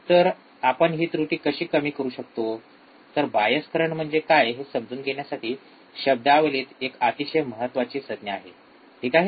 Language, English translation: Marathi, So, how we can reduce this error; so, it is very important term in terminology to understand what is the bias current, alright